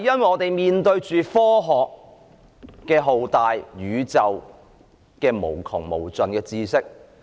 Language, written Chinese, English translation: Cantonese, 我們面對着浩大的科學、宇宙無窮無盡的知識。, We are confronted with the vastness of science as well as unlimited and boundless knowledge of the universe